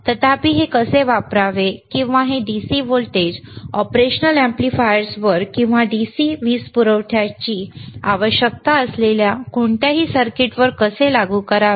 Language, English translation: Marathi, hHowever, how to you how to actually not is how to use this or how to apply this DC voltage to the operational amplifiers, or to any any circuit which requires the DC power supply